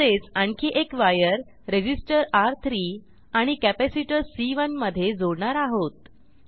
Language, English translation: Marathi, Similarly we will connect one more wire between Resistor R3 and capacitor C1